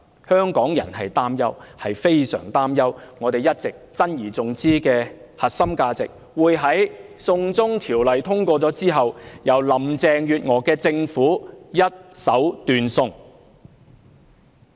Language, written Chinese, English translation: Cantonese, 香港人擔憂、非常擔憂我們一直珍而重之的核心價值，會在"送中條例"通過後，由林鄭月娥帶領的政府一手斷送。, The people of Hong Kong are worried and extremely anxious that the core values which we have all along treasured will be destroyed by the Government led by Carrie LAM upon the passage of the China extradition law